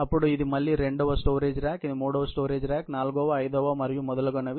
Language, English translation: Telugu, Then, this is again a second rack, a storage rack; this is third storage rack, fourth, fifth so on and so forth